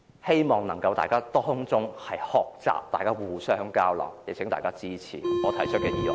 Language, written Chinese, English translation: Cantonese, 希望大家能從中學習，互相交流，請大家支持我提出的議案。, I hope we can learn from this case and exchange ideas . Please support the motion I have proposed